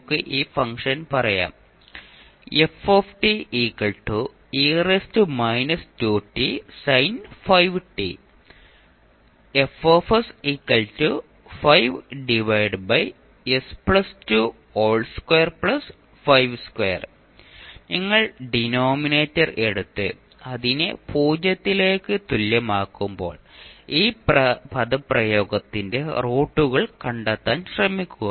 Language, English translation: Malayalam, You will simply take the denominator and equate it to 0 and you try to find out the roots of this particular expression